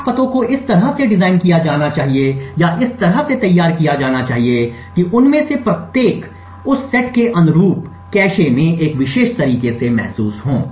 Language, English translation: Hindi, The 8 addresses should be designed in such a way or should be crafted in such a way such that each of them feels a particular way in a cache corresponding to that set